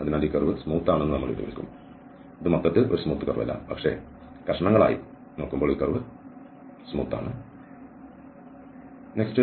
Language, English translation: Malayalam, So, here we will call that this curve is piecewise is smooth, this is not a smooth curve as a whole, but in pieces, this curve is smooth